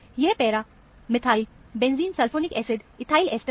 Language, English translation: Hindi, This is para methyl benzene sulphonic acid ethyl ester